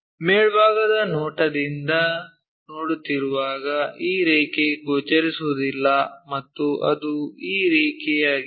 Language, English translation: Kannada, This line is not visible when we are looking from top view and that is this line